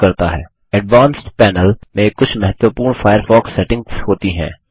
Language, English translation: Hindi, The Advanced Panel contains some important Firefox settings